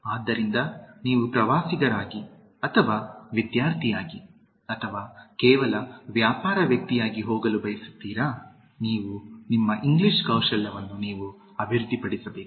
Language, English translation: Kannada, So, whether you would like to go as a tourist or as a student or as just a business person, you need to develop your English Skills